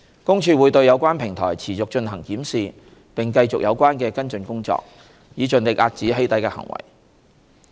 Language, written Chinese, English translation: Cantonese, 公署會對有關平台持續進行檢視並繼續有關的跟進工作，以盡力遏止"起底"的行為。, PCPD will continue to review relevant platforms and pursue follow - up and will spare no efforts in keeping doxxing in check